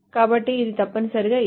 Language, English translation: Telugu, So this is essentially this